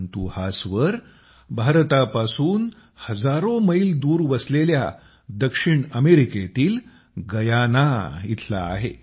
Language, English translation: Marathi, But these notes have reached you from Guyana, a South American country thousands of miles away from India